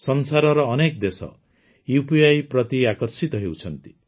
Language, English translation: Odia, Many countries of the world are drawn towards it